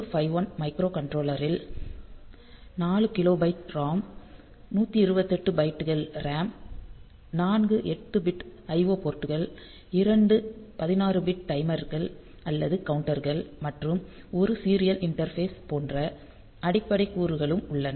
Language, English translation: Tamil, So, the basic components that you have in a microcontroller 8051 microcontroller it has got 4 kilobytes of ROM then 128 bytes of RAM 4 8 bit IO ports 2 16 bit timers or counters and 1 serial interface